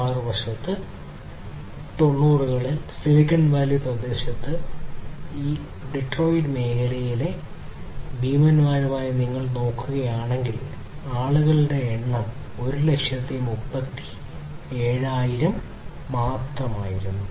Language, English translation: Malayalam, And on the other hand if you look and compare with these industry giants in the Detroit area in 1990s, in the Silicon Valley area the number of employees was only 1,37,000